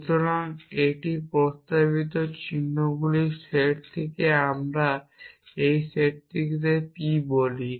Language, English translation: Bengali, So, this is the set of propositional symbols let us call this set p